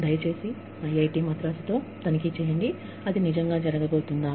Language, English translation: Telugu, Please, check with IIT Madras, if it is really going to happen